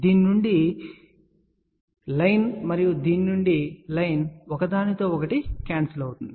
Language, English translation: Telugu, Path from this and path from this will cancel each other